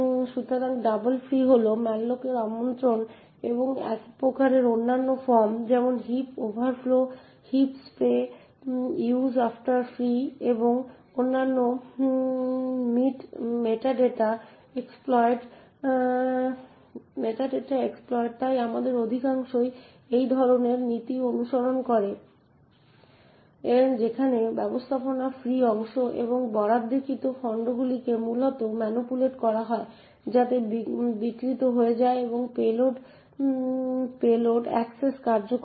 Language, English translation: Bengali, So the double free is just one form of attack for malloc there are various other forms like heap overflows, heap sprays, use after free and other metadata exploits, so but most of them follow the same kind of principle there the management of the free chunks and the allocated chunks are essentially manipulated so that the execution gets subverted and the payload executes